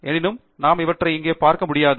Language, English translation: Tamil, However, we will not be looking at them here